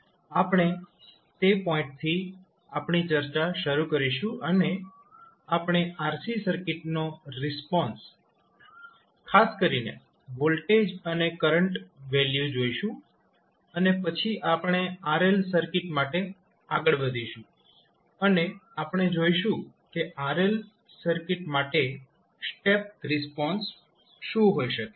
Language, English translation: Gujarati, So, we will start our discussion from that point onwards and we will see the RC circuit response particularly the voltage and current value and then we will proceed for RL circuit and we will see what could be the step response for RL circuit